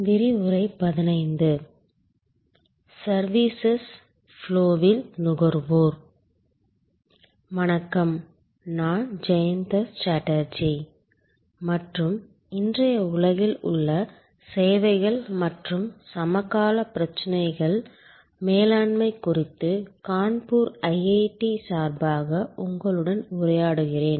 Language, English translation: Tamil, Hello, I am Jayanta Chatterjee and I am interacting with you on behalf of IIT Kanpur on Managing Services and contemporary issues in today's world